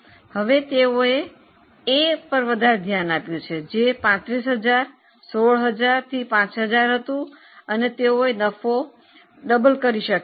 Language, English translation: Gujarati, It is 35,000, 16,000 to 5,000 and they were able to double the profit